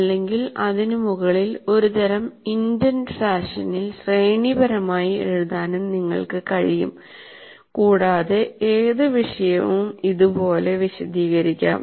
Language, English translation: Malayalam, Or on top of that, you can also write in a kind of indented fashion hierarchically any topic can be elaborated like this